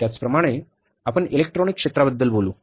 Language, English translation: Marathi, Similarly for example, you talk about the electronic sector